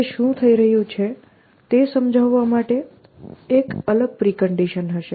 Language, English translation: Gujarati, So, that will have a different precondition just to illustrate what is happening